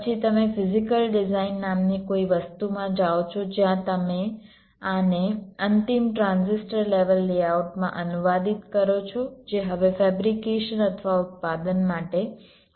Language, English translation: Gujarati, then you go into something called physical design, where you translate these into the final transistor level layout which is now ready for fabrication or manufacturing